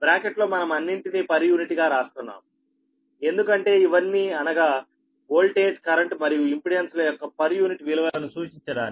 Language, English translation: Telugu, in bracket we are writing all per unit to indicate that these are all per unit values of voltage and current and impedance